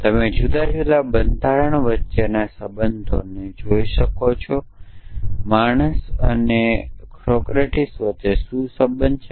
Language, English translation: Gujarati, And you can look at the relation between the different constitutes what is the relation between of being between being a man and being a mortal